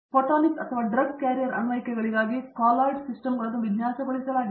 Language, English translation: Kannada, Colloidal systems are being designed for photonic or drug carrier applications